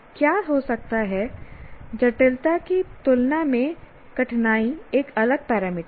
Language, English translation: Hindi, So, what can happen is the difficulty is a different parameter compared to complexity